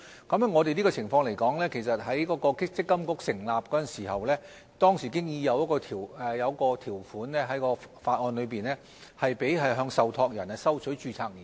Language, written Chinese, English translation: Cantonese, 關於這種情況，其實在積金局成立時，當時在法案已經有一項條款，准許向受託人收取註冊年費。, In the case of MPFA when it was established there was already a provision in the ordinance allowing it to collect annual registration fees from trustees